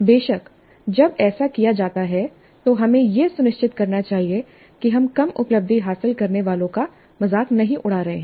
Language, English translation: Hindi, Because when this is done, we should ensure that we are not ridiculing the low achievers